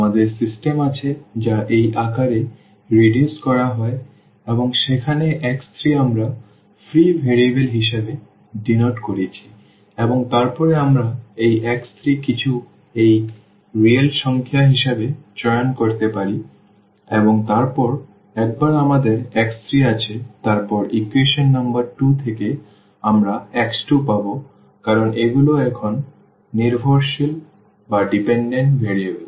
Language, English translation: Bengali, We have our system which is reduced in this form and where x 3 we have denoted as marked as free variable and then we can choose this x 3 some alpha alpha as a real number and then once we have x 3 then from equation number 2, we will get x 2 because these are the dependent variables now